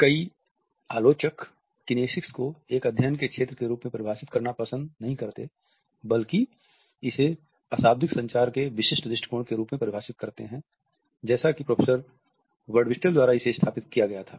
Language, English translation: Hindi, Several critics prefer to define kinesics not as a field of a study, but as the specific approach to nonverbal communication as it was established by Professor Birdwhistell